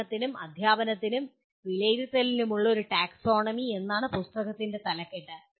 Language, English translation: Malayalam, The title of the book is A Taxonomy for Learning, Teaching, and Assessment